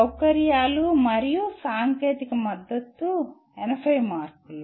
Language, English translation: Telugu, Facilities and technical support 80 marks each